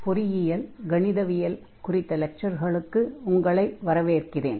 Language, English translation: Tamil, So, welcome to the lectures on Engineering Mathematics 1, and this is lecture number 23